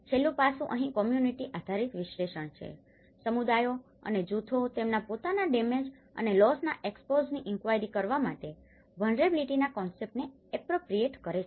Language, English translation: Gujarati, The last aspect is a community based analysis here, the communities and the groups appropriate the concept of vulnerability to inquire their own expose to damage and loss